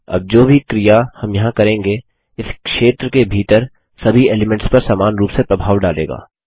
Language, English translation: Hindi, Now whatever action we do here, will affect all the elements inside this area, uniformly